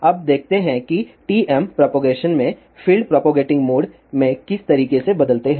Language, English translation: Hindi, Now, let us see how field varies in propagating modes in TM propagation